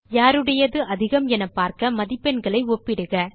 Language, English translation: Tamil, Compare the marks to see which student has scored the highest